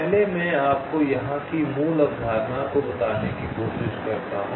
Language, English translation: Hindi, ok, let me try to tell you the basic concept here first